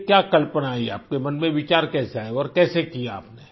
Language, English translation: Hindi, What was this idea…how did the thought come to your mind and how did you manage it